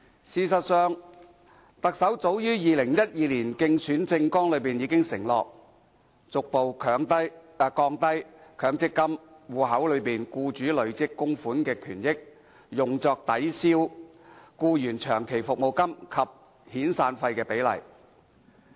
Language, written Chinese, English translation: Cantonese, 事實上，特首早在2012年的競選政綱已承諾，"逐步降低強積金戶口內僱主累積供款權益用作抵銷僱員長期服務金及遣散費的比例"。, In fact in as early as 2012 the Chief Executive undertook in his Election Manifesto to progressively reduce the proportion of accrued benefits attributed to employers contribution in the MPF account that can be applied by the employer to offset long - service or severance payments